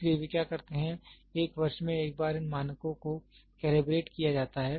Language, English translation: Hindi, So, what they do is, once in a year these standards are calibrated